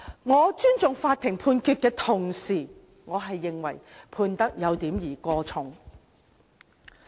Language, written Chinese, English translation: Cantonese, 我尊重法院判決的同時，認為判刑有點兒過重。, While I respect the Courts Judgement I consider the sentence a bit too severe